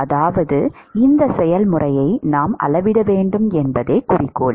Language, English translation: Tamil, I mean, the objective is we need to quantify this process